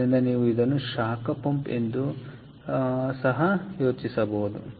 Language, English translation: Kannada, ok, so you can think of it also as a heat pump, all right